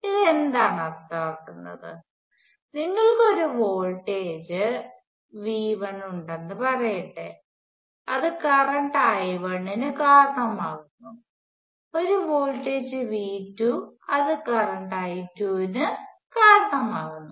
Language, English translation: Malayalam, And what does this mean, so if let say you have a volt as V 1 which results in a current I 1 and voltage V 2, which result in a current I 2